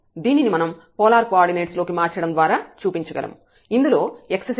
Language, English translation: Telugu, So, again we can see by changing to the polar coordinate also